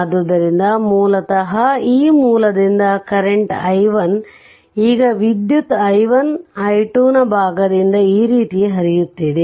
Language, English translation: Kannada, Now part from part of the current i 1 i 2 is flowing like this